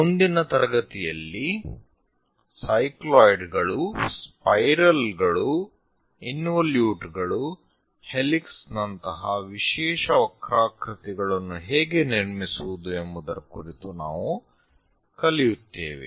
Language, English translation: Kannada, In the next class, we will learn about how to construct the special curves like cycloids, spirals, involutes and helix